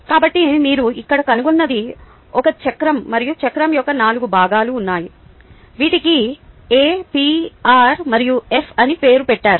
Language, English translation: Telugu, so what you find here is a wheel, and there are four parts of the wheel which are ah, named as a, p, r and f